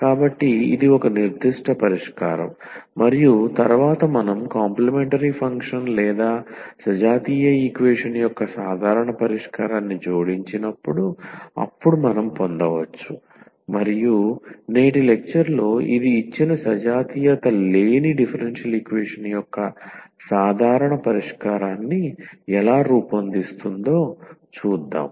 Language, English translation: Telugu, So, this is a one particular solution and then when we add the complimentary function or the general solution of the homogeneous equation, then we can get and we will see in today’s lecture how this will form a general solution of the given non homogeneous differential equation